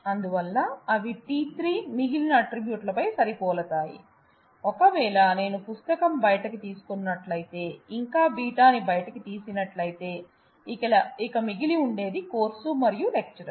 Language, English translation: Telugu, So, they match and t 3 on the remaining attributes remaining attributes are, if I take out beta if I take out book it is AHA it is course and the lecturer that is remaining